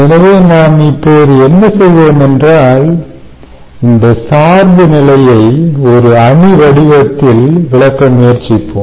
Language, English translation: Tamil, all right, so what we will do is now try to explain this dependence in the form of a matrix